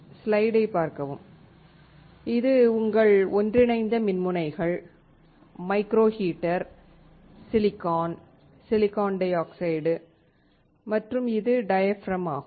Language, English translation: Tamil, This is your inter digitated electrodes, micro heater, silicon, silicon dioxide and this one is diaphragm